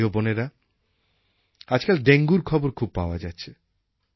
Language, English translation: Bengali, Dear countrymen, there is news of dengue everywhere